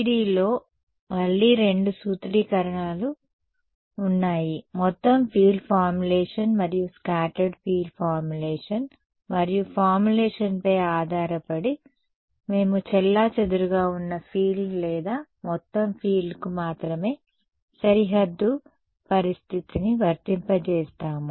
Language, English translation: Telugu, No in FDTD again there are two formulations, total field formulation and scattered field formulation and depending on the formulation, we will apply the boundary condition to only the scattered field or the total field